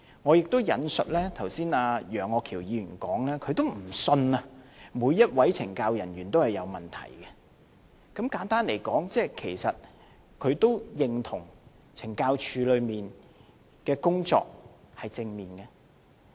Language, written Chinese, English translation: Cantonese, 我亦引述楊岳橋議員剛才的發言，他也不相信每位懲教人員都有問題，簡單而言，其實他也認同懲教署的工作是正面的。, As Mr Alvin YEUNG also mentioned just now he does not believe that there are problems with each and every correctional officer . In brief he actually also recognizes that the work of CSD is positive